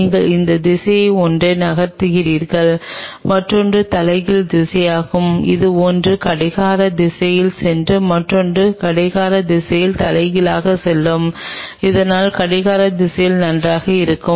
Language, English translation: Tamil, You move one in this direction other one is the reverse direction one if it is one is going clockwise the other one will go to reverse clockwise so, anti clockwise fine